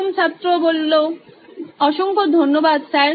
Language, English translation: Bengali, Thank you very much Sir